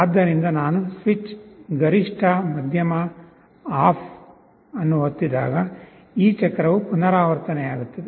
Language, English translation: Kannada, So, when I go on pressing the switch, maximum, medium, off, this cycle will repeat